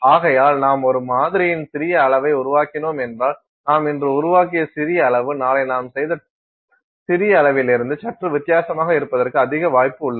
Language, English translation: Tamil, And therefore, if you are making tiny quantities of a sample there is a greater chance that this tiny quantity, that you made today is slightly different from the tiny quantity you made tomorrow and so on